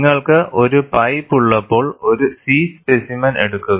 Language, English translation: Malayalam, When you have a pipe, go for a C specimen